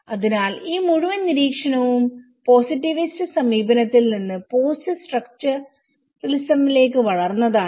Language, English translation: Malayalam, So this whole observation grows from a positivist approach to the post structuralism